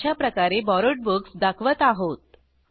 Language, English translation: Marathi, This is how we display Borrowed Books